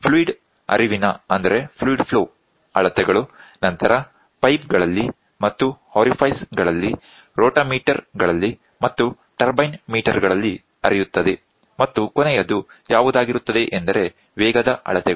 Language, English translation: Kannada, Fluid flow measurement then flows in a pipes and orifice, rotameter and turbine meters and the last one is going to be velocity measurement